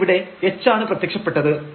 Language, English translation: Malayalam, So, this was h here and this was k here